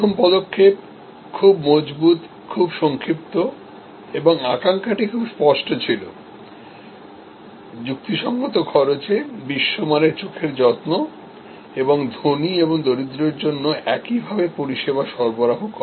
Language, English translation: Bengali, First step, very concrete, very crisp and the ambition was very clear, quality eye care at reasonable cost at global standard and provides service to rich and poor alike